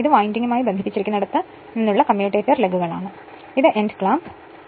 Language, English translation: Malayalam, And this is your commutator lugs from here where it is connected to the winding, and this is your end clamp